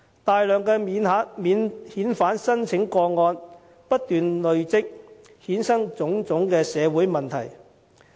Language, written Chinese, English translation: Cantonese, 大量的免遣返聲請不斷累積，衍生種種社會問題。, With the persistent accumulation of substantial non - refoulement claims various social problems have ensued